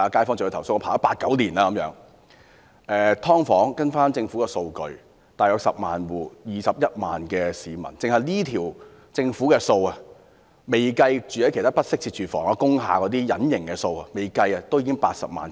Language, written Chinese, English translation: Cantonese, "劏房"方面，根據政府的數據，大約有10萬戶，共21萬名市民，單是政府這項數字，未計及其他居住在不適切住房如工廈這些隱形數字，也有80萬名市民......, According to information released by the Government there are altogether 210 000 people in about 100 000 households living in subdivided units . Based on this government figure alone there are already 800 000 people . Yet the hidden numbers of people living in other inadequate conditions such as industrial buildings have not been counted